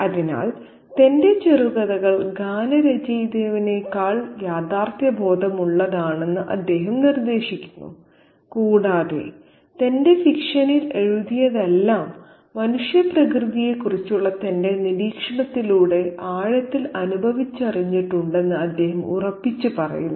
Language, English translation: Malayalam, Therefore he suggests that his short stories are more realistic than lyrical in nature and he asserts that whatever has been written in his fiction has been deeply felt and directly experienced through his observation of human nature